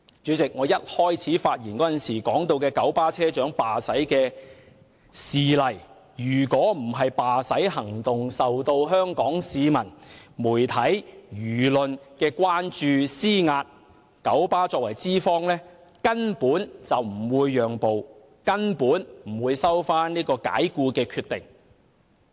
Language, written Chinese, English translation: Cantonese, 以我開始發言時提到的九巴車長罷駛事件為例，若非罷駛行動受到香港市民和媒體的關注和施壓，九巴作為資方根本不會讓步，根本不會收回解僱的決定。, Take for example the KMB drivers strike mentioned by me at the start of my speech . If the people and media of Hong Kong had not expressed concern about the strike and exerted pressure on KMB KMB as the employer simply would not have made a concession and withdrawn its decision to dismiss the bus drivers